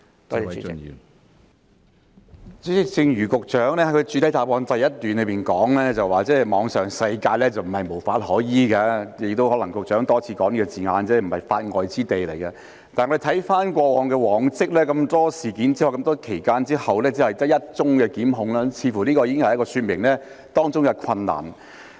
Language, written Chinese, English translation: Cantonese, 主席，正如局長在主體答覆第一部分提到，網上世界並非無法可依，局長亦多次提到這個字眼，即並非法外之地，但我們回顧往績，經過眾多事件和長時間之後，只有1宗檢控，這似乎已經說明了當中的困難。, President as the Secretary has mentioned in part 1 of the main reply the Internet is not a world that is beyond the law and the Secretary has also mentioned these words time and again that is it is not a lawless place . However as we look back only one prosecution has been initiated despite so many incidents and such a long period of time . This seems to have illustrated the difficulties involved